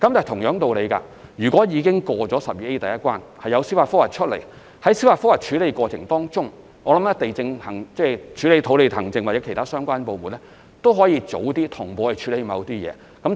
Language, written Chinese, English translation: Cantonese, 同樣道理，如果已通過第 12A 條的第一關，然後有人提出司法覆核，我相信處理土地行政工作的相關部門可以在司法覆核的過程中，提早同步處理某些工序。, By the same token if an application that has obtained approval in the first round under section 12A is subsequently subject to a judicial review I believe the relevant department dealing with land administration can handle in advance certain procedures while pending the outcome of the judicial review